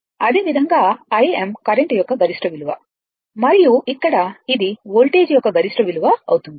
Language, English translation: Telugu, Similarly, I m is the peak value of the current or maximum value of the current and here it is maximum value of the voltage